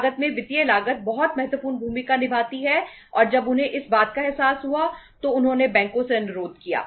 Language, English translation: Hindi, In the total cost financial cost plays a very very important role and when they realized this thing so they requested the banks